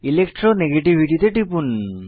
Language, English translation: Bengali, Click on Electro negativity